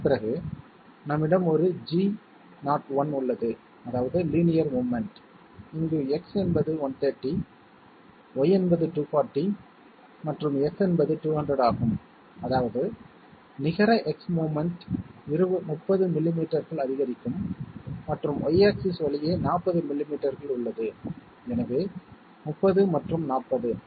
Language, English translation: Tamil, After that we have a G01 that means linear movement, where X is 130, Y is 240 and F is 200, so that means net X movement okay is 30 millimetres incremental and 40 millimetres along Y axis, so 30 and 40